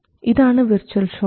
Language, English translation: Malayalam, So that is the virtual short